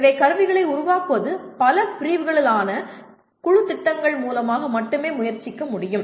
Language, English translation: Tamil, So creation of tools can only be attempted through projects preferably by multidisciplinary teams